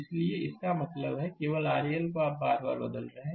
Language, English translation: Hindi, So; that means, only R L you are changing again and again